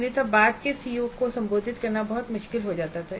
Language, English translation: Hindi, Otherwise it becomes very difficult to address the later COS